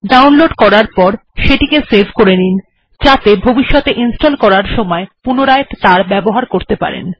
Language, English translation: Bengali, After downloading, save it for future use, as you may want to install it a few times